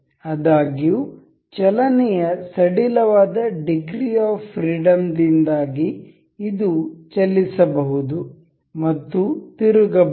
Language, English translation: Kannada, However, because of a loose degree of motion degree of freedom this can move and can rotate as well